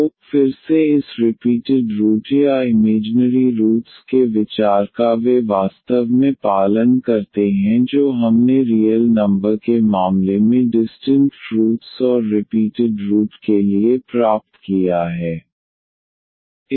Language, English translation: Hindi, So, again the idea of this repeated roots or the imaginary roots they exactly follow what we have derived for the distinct roots and the repeated roots in case of the real numbers